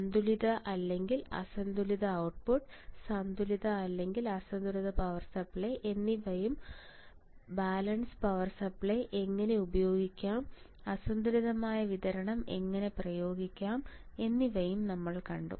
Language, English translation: Malayalam, And then we have seen the balance versus unbalance output and, balance versus unbalanced power supply also how to apply balance power supply, how do I apply unbalance supply